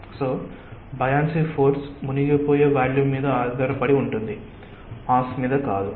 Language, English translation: Telugu, so the buoyancy force is based on the volume which is submerged, not the mass